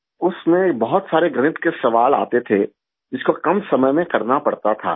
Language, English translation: Urdu, There were many maths questions in it, which had to be done in little time